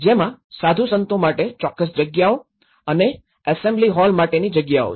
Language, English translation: Gujarati, There is certain spaces for monks and the spaces for assembly halls